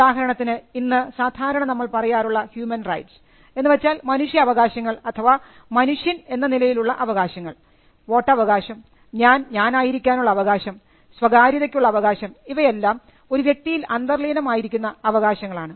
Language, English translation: Malayalam, Rights may express itself, inherently in a human being like what we say about human rights, your right to vote, your right to be, your right to privacy these are things which are inherent in a human being